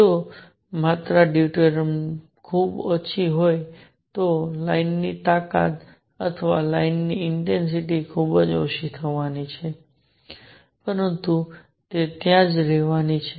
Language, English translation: Gujarati, If the quantity is deuterium is very small, then the line strength or the intensity of line is going to be very small, but it is going to be there